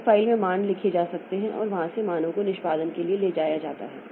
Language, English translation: Hindi, In a file the values may be written and from there the values are taken for execution